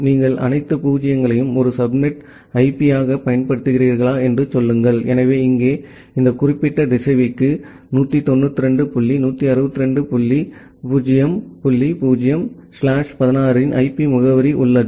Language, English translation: Tamil, Say if you are using all 0s as a as a subnet IP, so here this particular router has the IP address of 192 dot 168 dot 0 0 slash 16